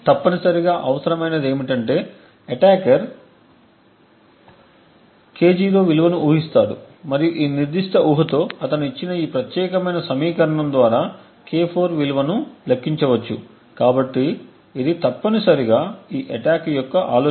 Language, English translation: Telugu, Essentially what would be required is that the attacker guesses a value of K0 and then for that particular guess he can then compute the value K4 given this particular equation, so this is essentially the idea of this attack